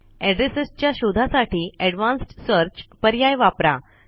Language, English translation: Marathi, Use the Advanced Search option to search for addresses